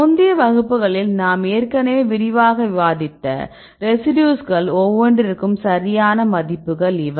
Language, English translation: Tamil, These are the values right for each a residues fine already we discussed in detail in the earlier classes right